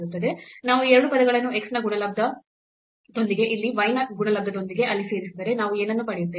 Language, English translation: Kannada, And, then if we add these 2 terms with the product of x here and y there what we will get